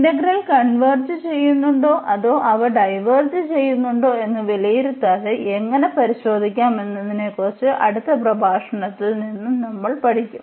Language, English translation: Malayalam, So, here we also use in further lectures about this test integrals because in the next lectures we will learn about how to how to test whether this converge this integral converges or it diverges without evaluating them